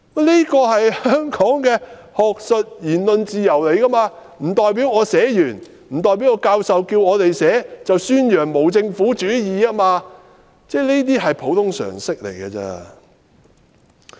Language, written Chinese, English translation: Cantonese, 這是香港的學術言論自由，教授要求我們寫這樣的論文，不代表宣揚無政府主義，這是普通常識。, This is the academic freedom and freedom of speech of Hong Kong . The fact that the professor asked us to submit a dissertation on anarchism does not mean that he advocated anarchism . This is common sense indeed